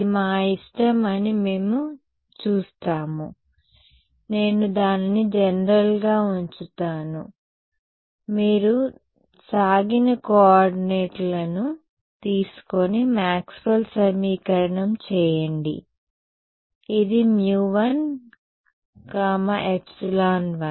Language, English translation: Telugu, We will see it is up to us, I have kept it as a general what happens you take stretch coordinates and do Maxwell’s equation; this is mu 1 epsilon 1